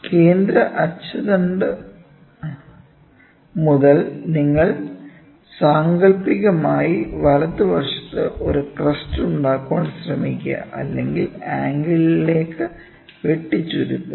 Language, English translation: Malayalam, From the central axis to you try to imaginarily make a crest, right or make a truncation of the cone